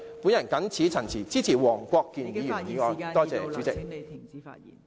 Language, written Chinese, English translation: Cantonese, 我謹此陳辭，支持黃國健議員的議案。, With these remarks I support Mr WONG Kwok - kins motion